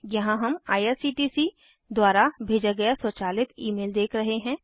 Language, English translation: Hindi, We are now looking at the automated email sent by IRCTC the ticket details are here